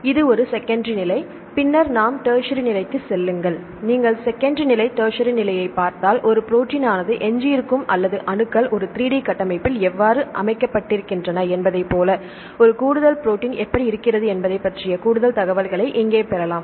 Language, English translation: Tamil, This is a secondary level and then go to a tertiary see if you see the secondary level tertiary level you can get more information here exactly how a protein looks like how the residues or the atoms are arranged in a 3D structure